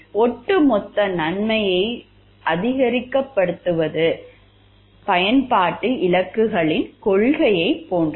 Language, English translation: Tamil, The principle is similar to that of the utilitarian goals of maximizing the overall good